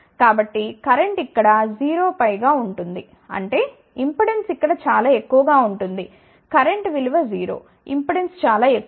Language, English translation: Telugu, So, current will be 0 over here ; that means, impedance will be very large over here the current is 0 impedance is very large